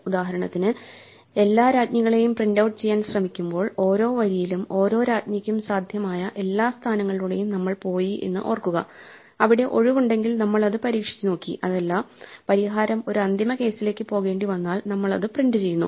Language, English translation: Malayalam, For instance, remember when we try to printout all the queens we ran through every possible position for every queen on every row, and if it was free then we tried it out and if the solution extended to a final case then we print it out